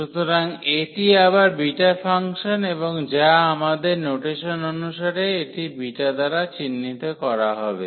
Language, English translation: Bengali, So, this is the again the beta function and which as per our notation this will be denoted by beta